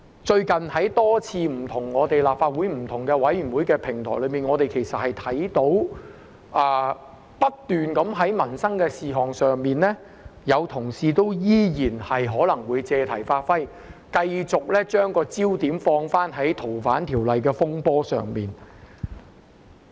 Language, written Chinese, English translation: Cantonese, 最近在多個立法會不同委員會上，我們也看到有同事在討論民生事項時仍然不斷借題發揮，繼續把焦點放在《逃犯條例》的風波上。, Recently at various committee meetings of the Legislative Council we could see some Honourable colleagues continually seize opportunities to digress in discussions on issues of peoples livelihood and continue to focus on FOO instead